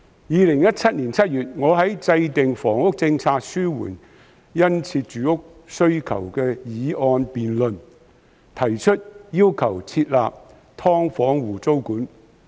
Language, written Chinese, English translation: Cantonese, 2017年7月，我在"制訂房屋政策，紓緩殷切住屋需求"議案的辯論中提出設立"劏房戶"租管。, In July 2017 I proposed introducing tenancy control on SDUs in the motion debate about Formulating a housing policy to alleviate the keen housing demand